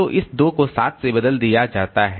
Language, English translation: Hindi, So this 1 is replaced by 3